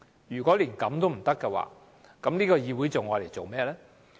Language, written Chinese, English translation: Cantonese, 如果連這樣也不行，這個議會還有何用處？, If this does not work what functions can this Council perform?